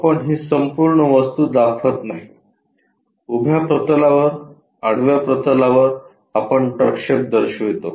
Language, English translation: Marathi, We do not show this entire object the projections we will show it on the vertical plane, on the horizontal plane